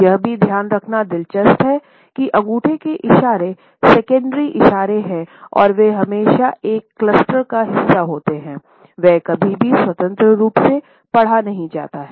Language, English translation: Hindi, It is also interesting to note that thumb gestures are secondary gestures and they are always a part of a cluster, they are never independently read